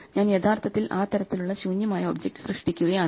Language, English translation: Malayalam, I am actually creating an empty object of that type